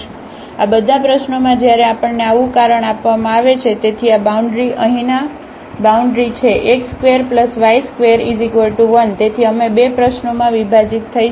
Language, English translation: Gujarati, So, in all these problems when we have such a reason is given; so, this boundary is the boundary is here x square plus y square plus is equal to 1